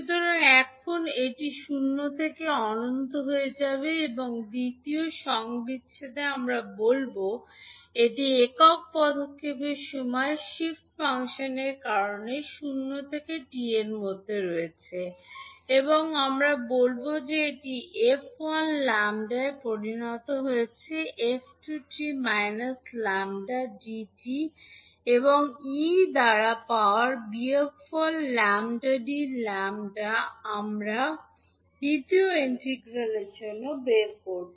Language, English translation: Bengali, First we interchange the order of integration so now it will become zero to infinity and in the second integral we will say that it is ranging between zero to t because of the unit step time shift function and we will say that it is f1 lambda into by f2 t minus lambda dt and e to the power minus s lambda d lambda we will take out for the second integral